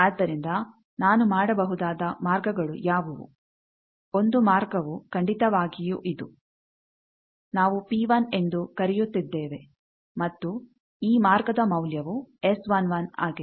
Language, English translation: Kannada, So, what are the paths by which I can do one path is definitely this one that we are calling P 1 and that value this path is S 11